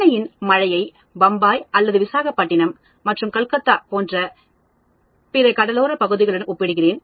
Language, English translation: Tamil, I am comparing say the rainfall of Chennai with other coastal regions like Bombay or Visakhapatnam and Calcutta and so on